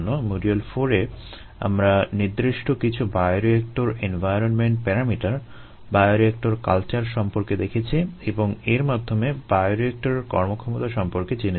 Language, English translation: Bengali, in module four we looked at the effect of certain bioreactor environment parameters, ah on ah, the bioreactor cultures, and there by bioreactor performance